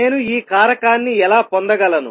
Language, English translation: Telugu, How would I get this factor